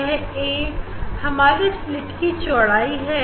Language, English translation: Hindi, this slit width slit width is a